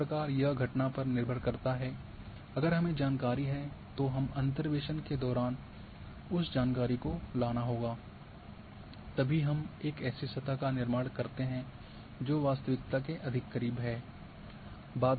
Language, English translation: Hindi, This it depending on the phenomena if we are having information we must bring that information during interpolation, so you create the surface which is more close to the reality